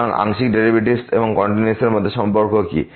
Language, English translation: Bengali, So, what is the Relationship between the Partial Derivatives and the Continuity